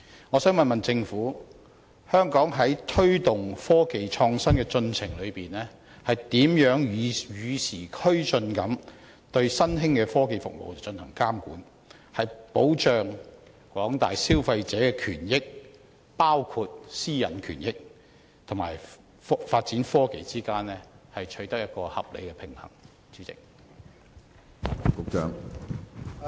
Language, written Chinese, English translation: Cantonese, 我想問政府，香港在推動科技創新的進程中，如何與時並進地對新興科技服務進行監管，在保障廣大消費者的權益與發展科技之間取得合理平衡？, May I ask the Government how we can keep abreast of the times and monitor the emerging technology services when promoting innovative technologies so that we can